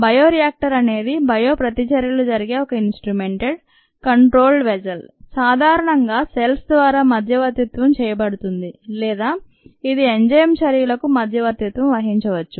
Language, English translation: Telugu, ah, bioreactor is nothing but an instrumented, controlled vessel in which bioreactions take place, typically mediated by cells, or it could be an enzyme that mediates the reaction